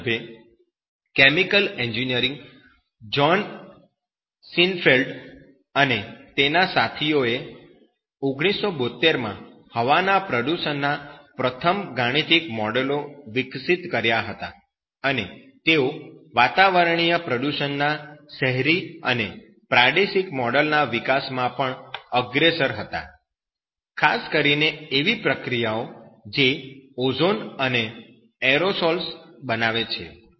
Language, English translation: Gujarati, In this regard, chemical engineering John Seinfeld and his colleagues developed the first mathematical models of air pollution in 1972 and they were are also a leader in the development of Urban and regional models of atmospheric pollution especially the process of that phone Ozone and aerosols